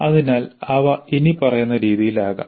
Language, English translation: Malayalam, So some of the methods can be as follows